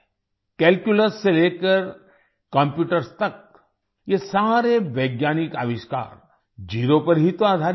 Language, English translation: Hindi, From Calculus to Computers all these scientific inventions are based on Zero